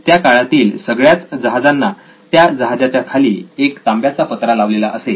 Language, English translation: Marathi, All ships during this time had a copper sheet, sheet underneath the ship